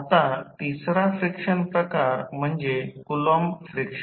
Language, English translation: Marathi, Now, the third friction type is Coulomb friction